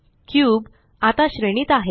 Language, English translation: Marathi, The cube is now scaled